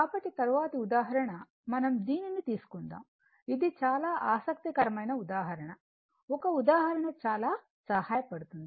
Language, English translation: Telugu, So, next example, we will take this one this is a very interesting example look one example will help you a lot